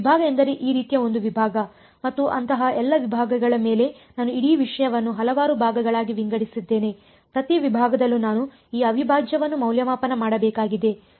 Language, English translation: Kannada, A segment means a segment like this and some over all such segments I have broken up the whole thing into several segments, I have to evaluate this integral over each segment